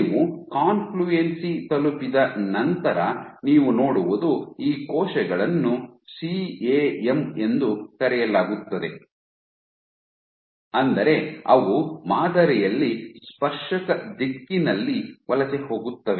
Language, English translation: Kannada, So, what you see is once you reach confluency, once you reach confluency these cells exhibit what is called as CAM and; that means that they migrate they migrate in tangential direction in the pattern